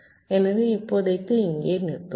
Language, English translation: Tamil, so for now, let us stop here, thank you